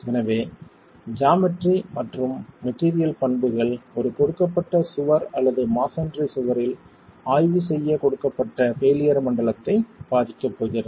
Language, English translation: Tamil, So, geometry and material properties are going to affect what the failure plane is for a given wall or a given failure zone that we are examining in a masonry wall itself